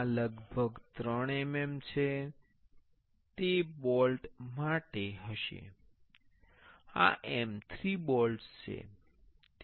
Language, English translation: Gujarati, This is approximately 3 mm, it will be fora bolt this is M 3 bolts